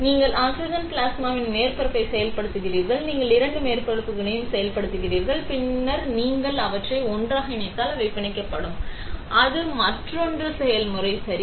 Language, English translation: Tamil, So, you activate the surface with oxygen plasma, you activate both the surfaces, and then you put them together, they will bond; that is another process ok